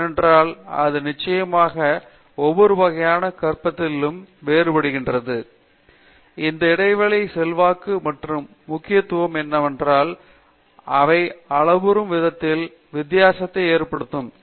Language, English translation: Tamil, Because, it is very different from a course based kind of learning, there is a lot of I mean influence and importance to this interaction that makes a difference in how they grow